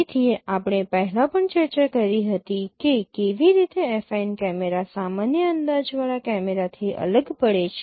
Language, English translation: Gujarati, So we discussed earlier also how an affine camera differs from a general projective camera